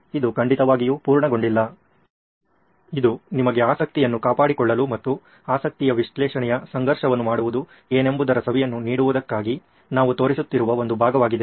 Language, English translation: Kannada, It’s by no means complete, it’s just one part that we are showing for to keep you interested as well as to keep give you a flavour of what it is to do a conflict of interest analysis